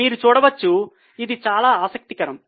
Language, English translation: Telugu, You can see this is very interesting